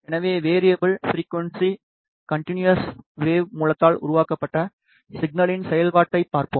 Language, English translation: Tamil, So, let us see the operation the signal that has been generated by the variable, frequency, continuous, wave source